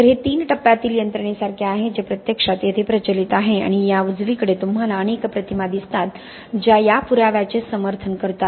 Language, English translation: Marathi, So this is like a three stage mechanism that actually is prevailing here and this on the right you see several images that are sort of supporting this evidence